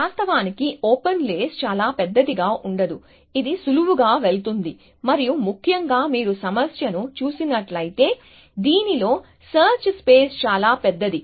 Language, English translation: Telugu, Open lays does not go too large in fact, it goes linearly only and especially, if you are looking at problems, in which thus search space is very huge